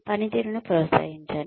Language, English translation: Telugu, Appraise the performance